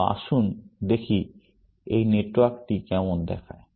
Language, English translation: Bengali, So, let us see what this network looks like